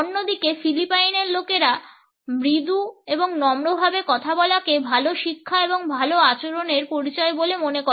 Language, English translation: Bengali, On the other hand people from Philippines speak softly, associate a soft speech with education and good manners